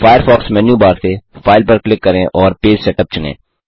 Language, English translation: Hindi, From the Firefox menu bar, click File and select Page Setup